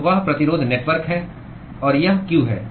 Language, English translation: Hindi, So, that is the resistance network; and this is q